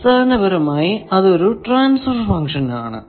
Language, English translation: Malayalam, Basically, it is a transfer function